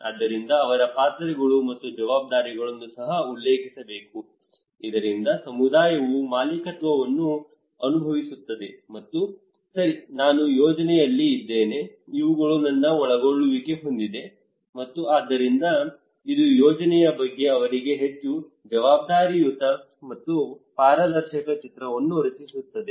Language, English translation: Kannada, So their roles and responsibilities should be also mentioned so that community feel kind of ownership and okay I am in the project these are my involvement and so it will create a more accountable and transparent picture to them about the project